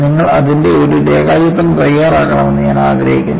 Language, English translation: Malayalam, I want you to make a sketch of it